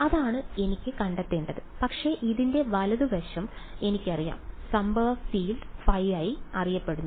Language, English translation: Malayalam, That is what I want to find out, but I know the right hand side this guy I know the incident field phi i is known